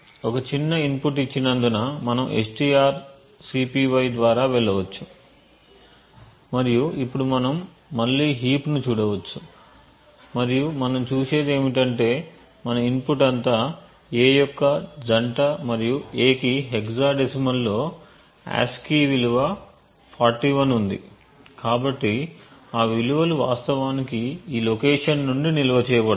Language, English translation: Telugu, So first of all let us continue to a single step and since we have given a small input we can go through strcpy and we can now look at the heap again and what we see is that since our input is all is a couple of A's and A has ASCII value of 41 in hexadecimal, so those values are actually stored from this location onwards